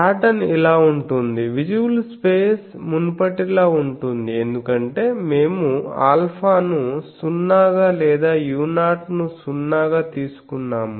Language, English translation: Telugu, The pattern is like this, the visible space is same as before because we have taken the alpha to be 0 or u 0 to be 0